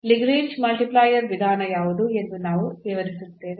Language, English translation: Kannada, So, what is the method of Lagrange multiplier